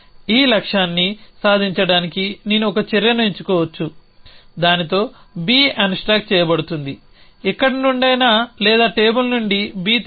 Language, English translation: Telugu, I could pick an action to achieve this goal with which will be unstack b from somewhere or pick up b from the table